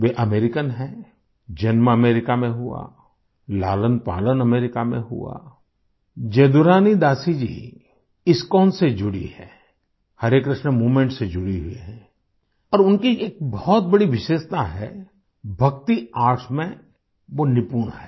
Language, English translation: Hindi, She is American, was born in America, brought up in America, Jadurani Dasi ji is connected to ISKCON, connected to Harey Krishna movement and one of her major specialities is that she is skilled in Bhakti Arts